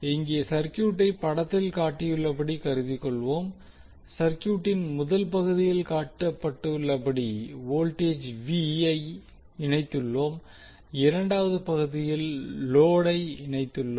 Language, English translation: Tamil, So now let us take another example where we consider this circuit as shown in the figure here in the first part of the circuit we have voltage V connected while in the second part we have load that is connected